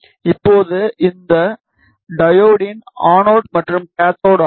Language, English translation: Tamil, Now, this is anode and cathode of this diode, ok